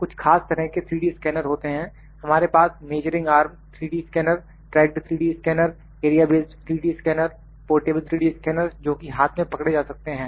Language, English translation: Hindi, There are certain kinds of 3D scanners we have measuring arm 3D scanners, tracked 3D scanners, area based 3D scanners, portable 3D scanner, portable 3D scanner it could be held in hand